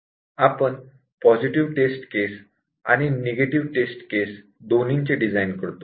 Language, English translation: Marathi, We design both positive test cases and negative test cases